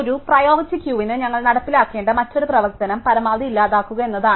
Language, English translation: Malayalam, So, the other operation that we need to implement for a priority queue is to delete the maximum